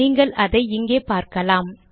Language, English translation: Tamil, You can see it here